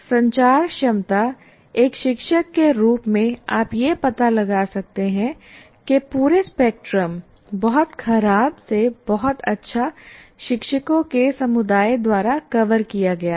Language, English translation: Hindi, There is a communicative competence even as a teacher, you can find out the entire spectrum, very poor to very good, entire spectrum is covered by the community of teachers